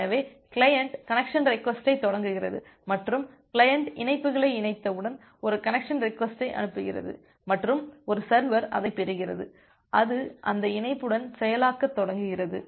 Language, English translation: Tamil, So, the client initiates the connection request and once connects client receives sends a connection request and a server receives it, it start processing with that connection